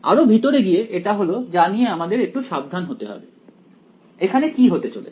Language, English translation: Bengali, Going in further this is where we have to do it a little bit carefully what will happen over here